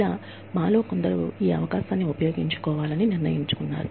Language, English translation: Telugu, Some of us decided, to take up this opportunity